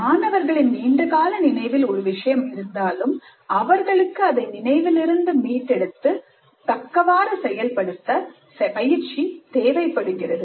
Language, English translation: Tamil, Even when the material is in long term memory already, students need practice retrieving that information and using it appropriately